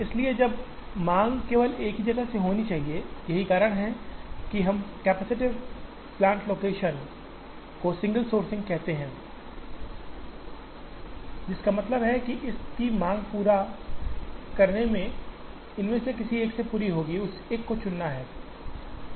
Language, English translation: Hindi, So, all the demand should be from only a single place, that is why we call capacitated plant location with single sourcing which means, the entire demand of this will be met from only one of these and that one has to be chosen